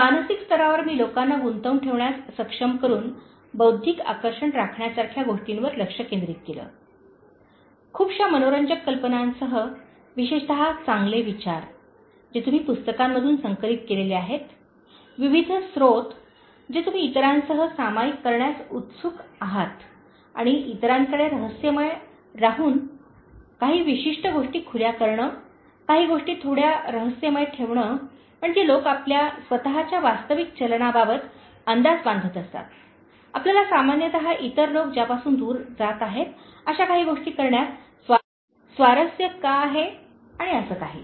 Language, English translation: Marathi, At the Mental level, I focused on things like maintaining an intellectual charm by being able to engage people, with lot of interesting ideas especially good thoughts, which you have collected from books, various sources and which you are willing to share it with others and being open yet staying a mystery to others keeping certain things bit mysterious so that people keep guessing about your own real drive, why you are interested in doing certain things which normally other peoples are shying away from and so on